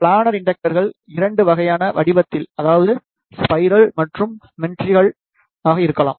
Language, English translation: Tamil, The planar inductors could be of 2 type a spiral and the meandrical in shape